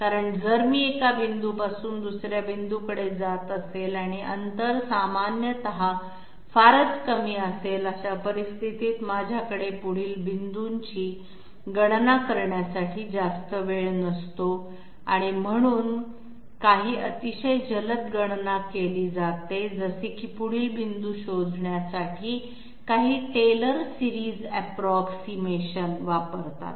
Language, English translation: Marathi, Why fast because if I moving from one point to another and the distances are typically very small, in that case I do not have much time at my disposal to calculate the next point, so some very fast calculation is done like some tailor series approximation is resorted to in order to find out the next point